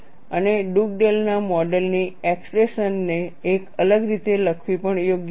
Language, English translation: Gujarati, And it is also worthwhile to look at the expression for Dugdale’s model written out in a different fashion